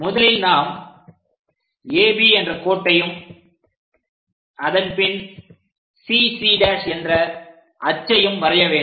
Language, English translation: Tamil, First, we have to draw AB line and then CC dash